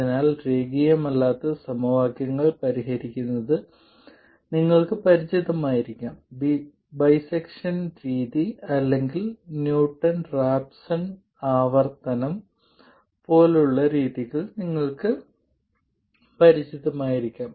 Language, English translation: Malayalam, So, you may be familiar with solving nonlinear equations, you may be familiar with methods like bisection method or Newton Rapson iteration and so on